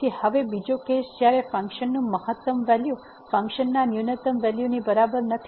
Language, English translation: Gujarati, So, now the second case when the maximum value of the function is not equal to the minimum value of the function